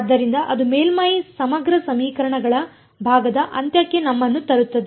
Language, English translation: Kannada, So, that brings us to on end of the part of surface integral equations